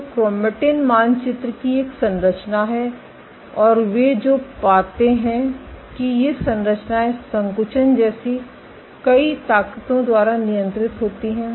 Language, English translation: Hindi, So, there is a structure of chromatin map, and what they find that these structures, is controlled by multiple forces like contractility